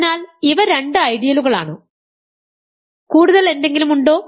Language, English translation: Malayalam, So, these are two ideals, are there any more